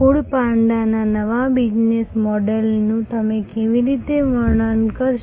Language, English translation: Gujarati, How do you describe the new service new business model of food panda